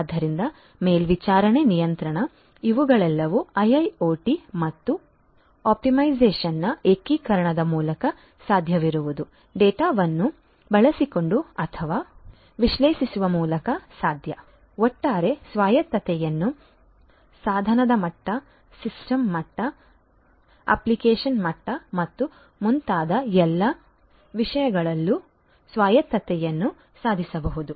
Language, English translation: Kannada, So, monitoring, control these are all possible through the integration of IIoT and optimization over time using or analyzing the data that is received autonomy overall can be achieved autonomy in all respects device level, system level, application level and so on